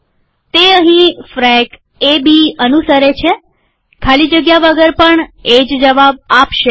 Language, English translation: Gujarati, It follows that frac A B here, without the space here, will also give the same answer